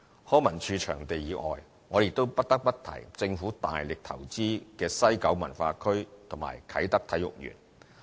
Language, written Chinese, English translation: Cantonese, 康文署場地以外，我亦不得不提政府大力投資的西九文化區與啟德體育園。, Apart from venues managed by LCSD I would also like to highlight two projects which are major investments of the Government the West Kowloon Cultural District WKCD and the Kai Tak Sports Park